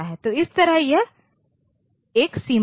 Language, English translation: Hindi, So, that way there is a range